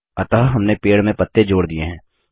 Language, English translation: Hindi, So, we have added leaves to the tree